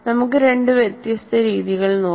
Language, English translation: Malayalam, Let us look at two different practices